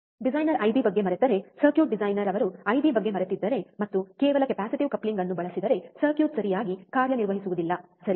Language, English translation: Kannada, Ah so, if the designer forgets simply forgets about I B, if the circuit designer he forgets about the I B, and uses just a capacitive coupling the circuit would not work properly, right